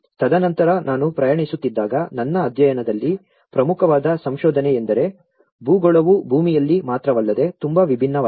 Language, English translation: Kannada, And then, while I was travelling one of the important finding in my pilot study was the geography is very different not only in land